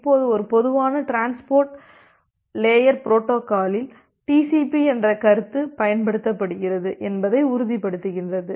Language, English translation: Tamil, Now, to ensure that in case of a generic transport layer protocol which is also utilized in the concept of TCP